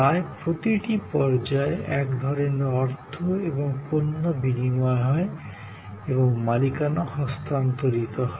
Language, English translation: Bengali, Almost at every stage, there is some kind of exchange of money and product and the ownership gets transferred